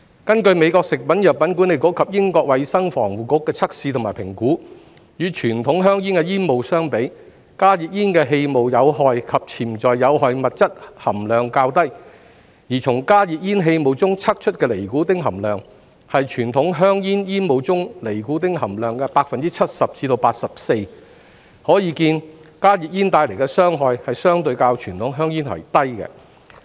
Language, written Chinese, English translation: Cantonese, 根據美國食品及藥物管理局及英國衞生防護局的測試及評估，與傳統香煙的煙霧相比，加熱煙氣霧的有害及潛在有害物質含量較低；而從加熱煙氣霧中測出的尼古丁含量，是傳統香煙煙霧中尼古丁含量的 70% 至 84%， 可見加熱煙帶來的傷害相對較傳統香煙為低。, According to the tests and assessments conducted by the US Food and Drug Administration and Public Health England compared with conventional cigarettes the amount of harmful and potentially harmful substances in the aerosols of HTPs is lower whereas the nicotine level detected in the aerosols of HTPs is 70 % to 84 % of that in the aerosols of conventional cigarettes thus showing that HTPs are relatively less harmful than conventional cigarettes